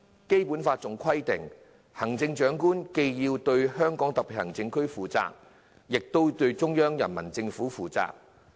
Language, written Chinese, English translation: Cantonese, 《基本法》規定行政長官既要對香港特別行政區負責，亦對中央人民政府負責。, The Basic Law provides that the Chief Executive shall be accountable to both the SAR Government and the Central Government